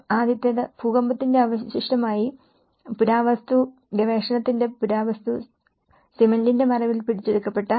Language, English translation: Malayalam, The first one, the Cretto which is captured under the shroud of cement, archeology of the archaeology, as a remainder of the past